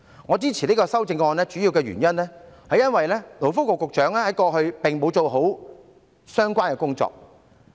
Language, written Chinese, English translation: Cantonese, 我支持這項修正案的主要原因，是勞工及福利局局長過去並沒有做好相關工作。, The main reason why I support this amendment is that the Secretary for Labour and Welfare did not do a proper job